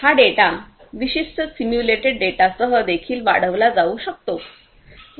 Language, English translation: Marathi, These data could be even augmented with certain simulated data as well